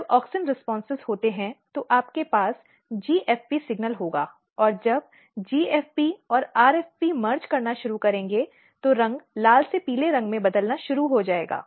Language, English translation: Hindi, When there is auxin responses then you will have GFP signal and when GFP and RFP will start merging the color will start changing from red to the yellow side